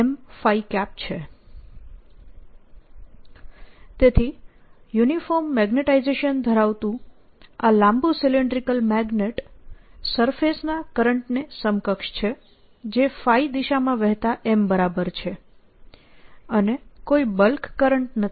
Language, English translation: Gujarati, so this long, slender cylindrical magnet having uniform magnetization is equivalent to having surface current which is equal to m, flowing in phi direction and no bulk current